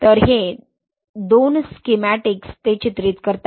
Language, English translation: Marathi, So these two schematics depict that, right